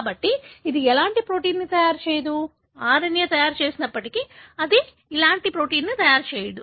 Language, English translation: Telugu, So, it will not make any protein; even if the RNA is made, it will not make any protein